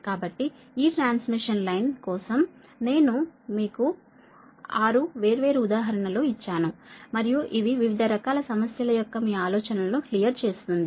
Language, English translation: Telugu, next is so, for this transmission line, some six different examples i have given to you, right, and this will, this will clear your ideas that different type of problem right now